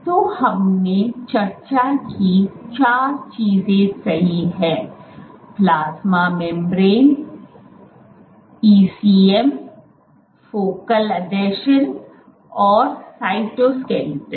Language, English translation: Hindi, So, there are these four things, so plasma membrane, ECM, focal adhesions, and cytoskeleton